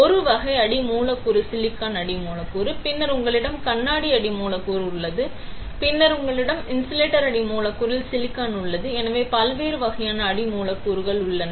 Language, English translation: Tamil, One type of substrate is silicon substrate, then you have glass substrate, then you have silicon on insulator substrate; so different types of substrates are there